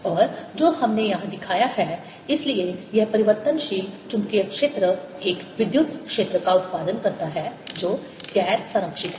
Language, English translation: Hindi, then, therefore, this changing magnetic field produces an electric field that is non conservative